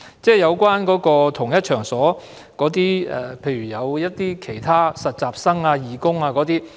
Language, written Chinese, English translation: Cantonese, 在同一場所內，有不同人士，例如實習生、義工等。, There may be different people in the same workplace eg . interns volunteers etc